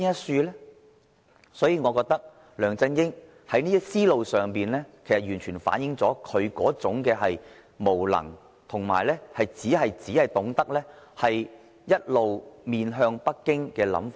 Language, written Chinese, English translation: Cantonese, 所以，我認為梁振英這種思路完全反映了他的無能，以及只懂得一直面向北京的想法。, For that reason I consider LEUNG Chun - yings train of thought merely reflects his inability and the fact that he only knows to curry favour with Beijings ideas